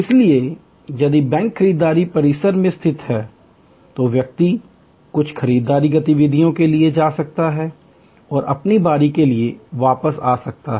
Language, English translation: Hindi, So, if the bank is located in a shopping complex, the person may go for some shopping activities and come back for his or her turn